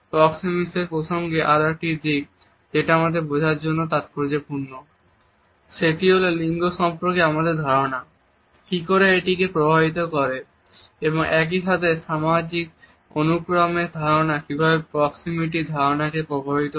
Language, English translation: Bengali, Another aspect which is significant for us to understand in the context of proxemics is how it is affected by our understanding of gender and at the same time how does our understanding of social hierarchy influences our understanding of proximity